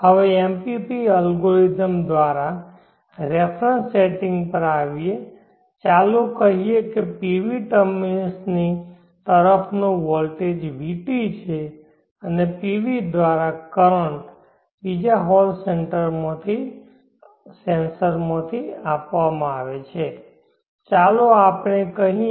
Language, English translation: Gujarati, Now coming to reference setting through the MPP algorithm let us say the voltage across the PV terminals is Vt and the current through the PV is measured with another hall censors let us say and is called It